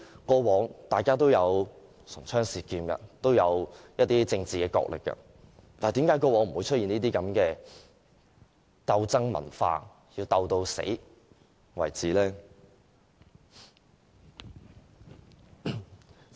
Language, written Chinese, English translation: Cantonese, 過往大家也會唇槍舌劍、進行政治角力，但為何不會出現鬥爭文化，要鬥到你死我亡為止呢？, Despite heated debates and political struggles a fierce confrontational culture has never appeared in the past